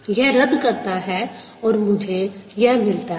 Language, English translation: Hindi, this cancel, and this is what i get